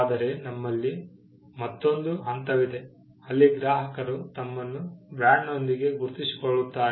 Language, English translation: Kannada, But we also have another stage where, customers identify themselves with a brand